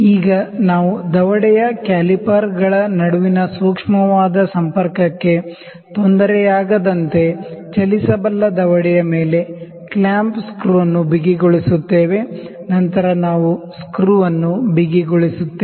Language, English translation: Kannada, Now we tighten the clamp screw on the moveable jaw without disturbing the light contact between calipers in the jaw, then we will tighten the screw